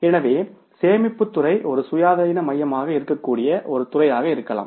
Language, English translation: Tamil, So, storage department can be the one department which can be the one independent center